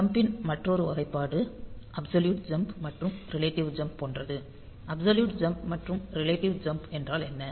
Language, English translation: Tamil, Another classification of this jump can be like this absolute jump and relative jump ; absolute jump and relative jump